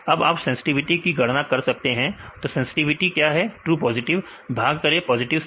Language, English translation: Hindi, Now you can calculate this sensitivity, what is sensitivity true positive by positives